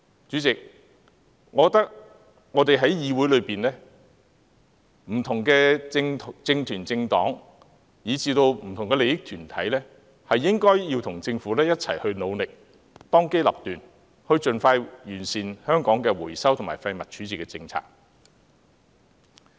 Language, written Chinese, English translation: Cantonese, 我覺得我們議會中的不同政團、政黨以至不同的利益團體均應與政府一同努力，當機立斷，盡快完善香港的回收及廢物處置政策。, The various political groupings political parties and interest groups in this Council should join hands with the Government and make a prompt decision to expeditiously perfect Hong Kongs policy on waste recovery and disposal